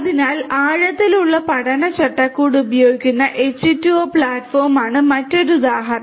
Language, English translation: Malayalam, So, another example is H2O platform that also uses the deep learning framework